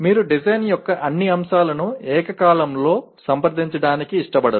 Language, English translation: Telugu, You do not want to approach all aspects of the design simultaneously